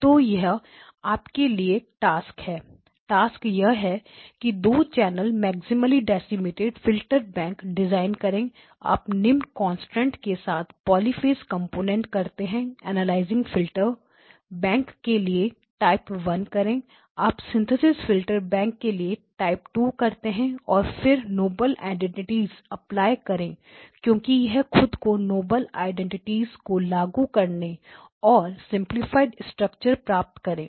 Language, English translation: Hindi, So this is the task for you to do, the task is the 2 channel maximally decimated filter bank you do poly phase components with the following constraint do type 1 for the analysis filters bank you do type 2 for the synthesis filter bank and then do apply the noble identities because you will, it will lend itself to applying the noble identities and obtain the simplified structure